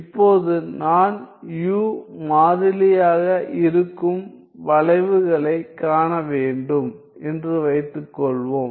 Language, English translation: Tamil, Now, suppose I were to see the curves for which u is constant u is constant